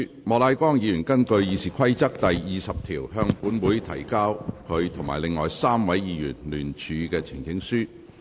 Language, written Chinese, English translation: Cantonese, 莫乃光議員根據《議事規則》第20條，向本會提交他及另外3位議員聯署的呈請書。, Mr Charles Peter MOK with the other three Members will present a petition to this Council in accordance with Rule 20 of the Rules of Procedure RoP